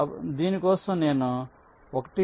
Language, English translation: Telugu, so this is the first one